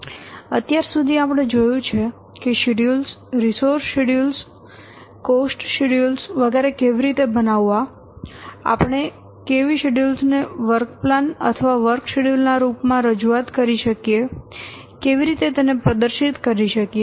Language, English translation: Gujarati, far we have seen how to prepare schedules prepare resource schedules how to prepare cost schedules etc how can represent how can display the schedules may be in the form of a work plan or work schedule